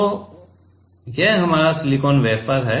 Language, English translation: Hindi, So, this our silicon wafer ok